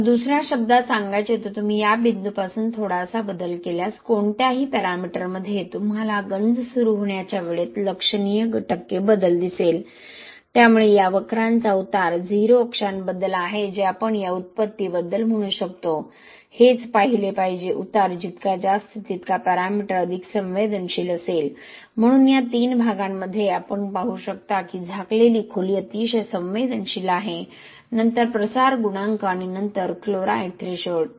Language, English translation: Marathi, So in other words if you move a slight change from this point, any of the parameter you will see a significant change in the percentage percent change in the time to corrosion initiation, so slope of these curves about that 0 axis that is what about this origin we can say, that is what is supposed to be looked at, more the slope more sensitive that parameter will be, so in these three cases you can see that covered depth is very sensitive, then the difffusion coefficient and then the chloride threshold